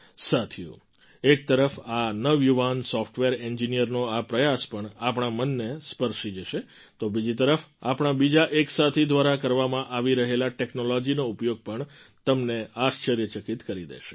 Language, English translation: Gujarati, Friends, on the one hand this effort of a young software engineer touches our hearts; on the other the use of technology by one of our friends will amaze us